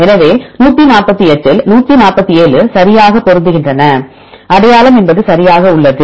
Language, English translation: Tamil, So, out of 148; 147 are matching right the identity means exactly the same